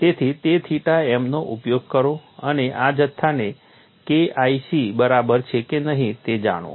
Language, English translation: Gujarati, So, use that theta m and find out whether this quantity is equal to K1 c or not